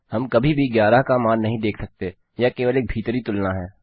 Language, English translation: Hindi, We never see the value of 11, its only an inside comparison